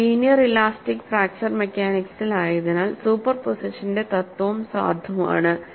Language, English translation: Malayalam, Then, we would also see, because we are in linear elastic fracture mechanics, principle of superposition is valid